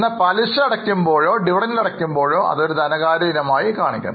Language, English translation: Malayalam, Whenever interest is paid or dividend is paid, it will be categorized as a financing item